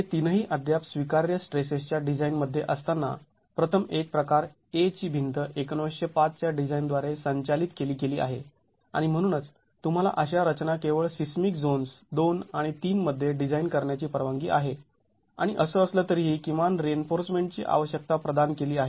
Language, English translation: Marathi, It's governed by the, while all the three are still in the allowable stresses design, the first one, type A wall is governed by 1905 design and that's why you are allowed to design such structures only in seismic zones 2 and 3 and the minimum reinforcement requirement is anyway provided